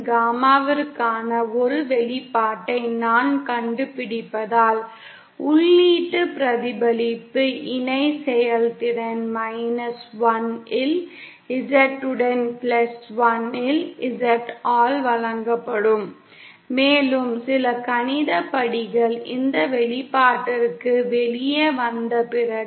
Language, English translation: Tamil, Gamma in, the input reflection co efficient will be given by Z in minus 1 upon Z in plus 1 and this after some mathematical steps comes out to this expression